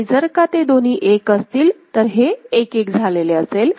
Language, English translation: Marathi, And when both of them are 1, that is it has reached 1 1 right